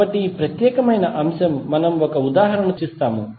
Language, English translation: Telugu, So, this particular aspect we will discuss with one example